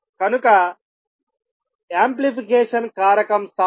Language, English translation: Telugu, So, amplification factor times